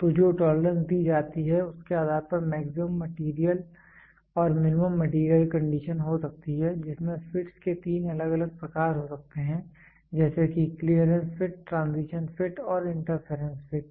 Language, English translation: Hindi, So, depending upon the tolerance which is given there maximum material and minimum material condition you can have three different types, of fits clearance fit, transition fit and interference fit